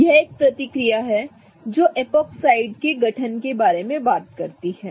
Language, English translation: Hindi, This is a reaction which talks about epoxide formation